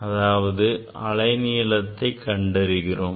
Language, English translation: Tamil, that means, you are measuring the wavelength